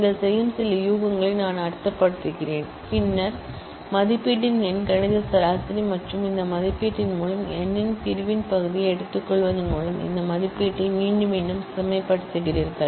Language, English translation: Tamil, I mean some guess you make and then you repeatedly refine this estimate by taking the arithmetic mean of the estimate and the quotient of the division of n by this estimate